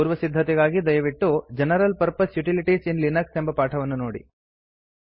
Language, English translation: Kannada, If not please refer to the tutorial on General Purpose Utilities in Linux